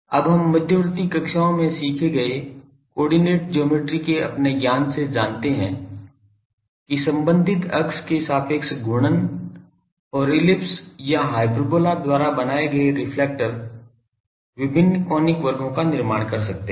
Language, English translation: Hindi, Now we know from our knowledge of coordinate geometry in intermediate classes, that reflectors made by rotating and ellipse or hyperbola about the respective axis can form various conic sections